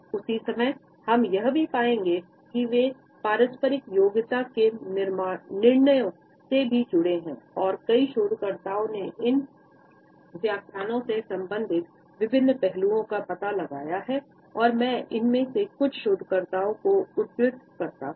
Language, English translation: Hindi, At the same time, we would find that they are also associated with judgments of interpersonal competence and several researchers have found out different aspects related with these interpretations of head nods and shaking of the head and I quote some of these researchers